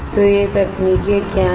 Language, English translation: Hindi, So, What are these techniques